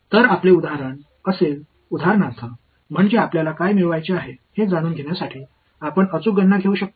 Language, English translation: Marathi, So, the first example would be for example, I mean you can take the exact calculation just to know what we are supposed to get